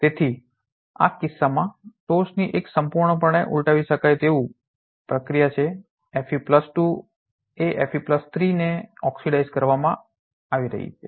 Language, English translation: Gujarati, So, is the top one completely reversible process in this case Fe2+ is getting oxidized to Fe3+